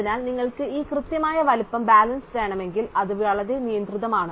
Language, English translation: Malayalam, So, if you want this exact size balance, then it is very restricted